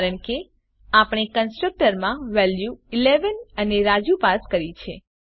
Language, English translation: Gujarati, Because we have passed the values 11 and Raju the constructor